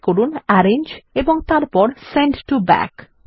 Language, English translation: Bengali, Click on Arrange and then Send to back